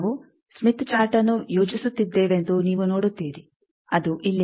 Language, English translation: Kannada, You see that we are plotting the smith chart, it is here